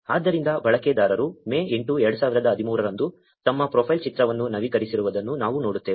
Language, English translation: Kannada, So, we see that the user updated his profile picture on May 8, 2013